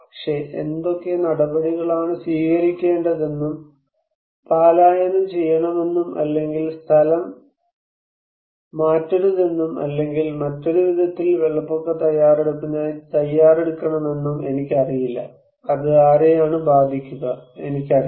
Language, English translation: Malayalam, But, I do not know which actions to be taken, evacuations or not evacuate or to prepare for a flood preparedness in other way, which one would be affected, I do not know